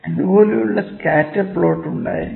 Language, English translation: Malayalam, We can have scatter plot like this, ok